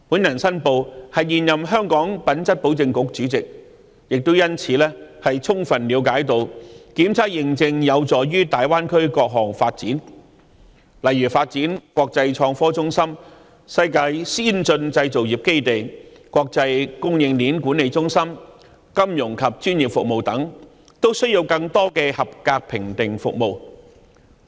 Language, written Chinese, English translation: Cantonese, 我申報我是現任香港品質保證局主席，亦因此充分了解檢測認證有助大灣區各項發展，例如發展國際創科中心、世界先進製造業基地、國際供應鏈管理中心，以至金融及專業服務等，均需要更多的合格評定服務。, I have to make a declaration that I am the Chairman of the Hong Kong Quality Assurance Agency and this is also why I fully understand that testing and certification are conducive to the development of the Greater Bay Area in various aspects such as the development into an international innovation and technology hub an advanced global manufacturing base and an international supply chain management centre and even the development of financial and professional services which all require more conformity assessment services